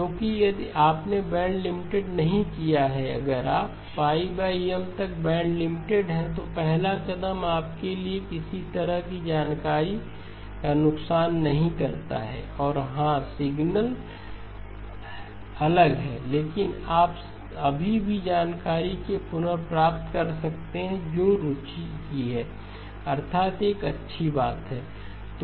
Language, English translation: Hindi, Because if you have not band limited, if you are band limited to pi over M then the first step does not produce for you any loss of information and yes the signals are different, but you can still hopefully recover the information that is of interest, that is a good point